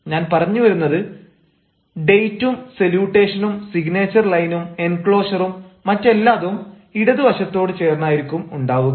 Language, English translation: Malayalam, i mean even the date salutation, close signature lines, enclosures, everything will be towards the left